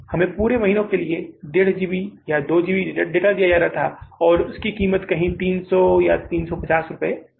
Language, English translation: Hindi, 2gb data for the whole of the month and the price of that was somewhere 300 and 350 rupees